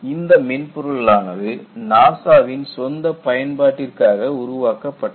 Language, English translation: Tamil, Because, this is developed by NASA, for their own use